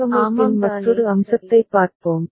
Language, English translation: Tamil, Now, let us look at another aspect of the design